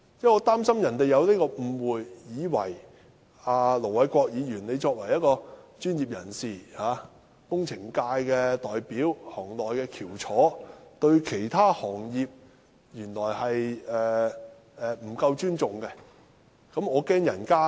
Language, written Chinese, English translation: Cantonese, 我擔心他們有所誤會，以為盧偉國議員作為專業人士、工程界代表、行內的翹楚，對其他行業不夠尊重。, I am worried that the legal professionals may misunderstand Ir Dr LO Wai - kwok thinking that as a professional a representative of the engineering sector and a leading figure in the industry he does not give due respect to other industries